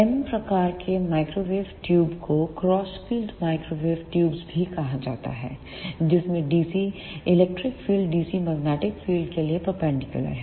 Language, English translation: Hindi, M type microwave tubes are also called as crossed field microwave tubes, in which dc electric field is perpendicular to the dc magnetic field